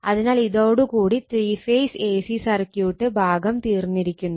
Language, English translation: Malayalam, So, with these thank you very much the three phase, three phase your a c circuit part is over